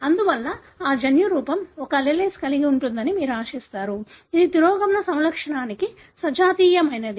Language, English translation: Telugu, Therefore you would expect that genotype to be having an allele which is homozygous for the recessive phenotype